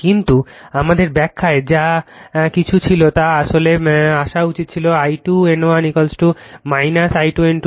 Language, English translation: Bengali, But in that our explanation whatever was there that is actually should have come I 2 N 1 is equal to minus I 2 N 2, right